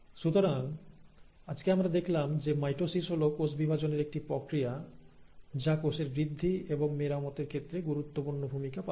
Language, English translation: Bengali, So, what did we study today, what we observed today is that mitosis is that form of cell division which plays a very important role in cell growth and cell repair